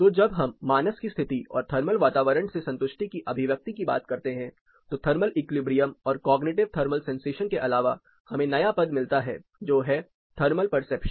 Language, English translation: Hindi, So, when you talk about the condition of mind and expression of satisfaction to the thermal environment apart from this thermal equilibrium and cognitive thermal sensation we have another term called Thermal Perception